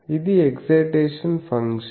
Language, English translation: Telugu, This is an excitation function